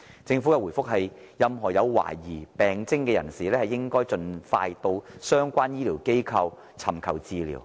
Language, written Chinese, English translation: Cantonese, 政府在回覆中說任何有懷疑病徵的人士，應盡快到相關醫療機構尋求治療。, Moreover anyone who has suspected symptoms should seek early consultation at relevant medical institutions